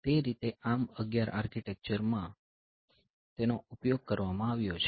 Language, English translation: Gujarati, So, that way so, that has been exploited in ARM11 architecture